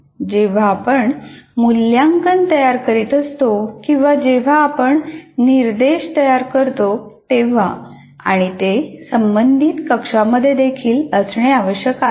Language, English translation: Marathi, And when we are designing assessments or when we are designing instruction, that also we need to locate in the corresponding cell